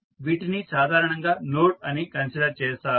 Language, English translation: Telugu, So, these are generally considered as a node